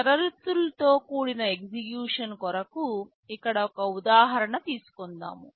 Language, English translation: Telugu, Conditional execution, let me take an example here